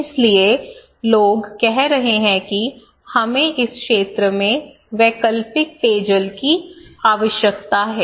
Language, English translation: Hindi, So, people are saying now that okay, we need alternative drinking water in this area